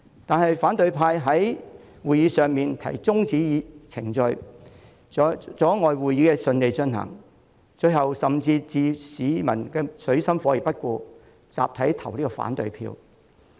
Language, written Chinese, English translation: Cantonese, 然而，反對派在會議上提出中止程序，阻礙會議順利進行，最後甚至置市民於水深火熱而不顧，集體投下反對票。, Nevertheless the opposition camp proposed at the meeting that the proceeding be adjourned obstructing the smooth conduct of the meeting . Eventually they even ignored the plight of the public and voted against the proposal collectively